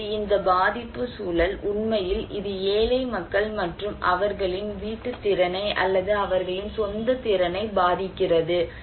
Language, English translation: Tamil, Now, this vulnerability context actually, this is the poor people and is affecting their household capacity or their own individual capacity